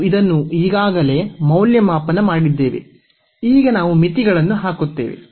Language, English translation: Kannada, We have already evaluated this now we will put the limits